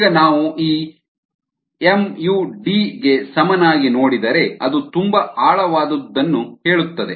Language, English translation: Kannada, now, if we look at this, mu equals d, it say something very profound